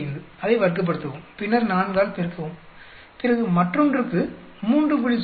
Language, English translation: Tamil, 45, square it up; then multiply by 4, then for the other one, 3